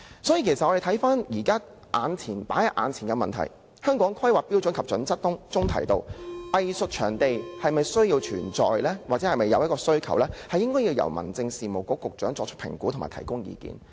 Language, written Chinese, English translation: Cantonese, 所以，放在眼前的問題是，《香港規劃標準與準則》訂明，是否需要有藝術場地，須由民政事務局局長作出評估及提供意見。, So the problem in front of us is that the need of arts venues as prescribed in the Hong Kong Planning Standards and Guidelines is to be determined by the assessment and advice of the Secretary for Home Affairs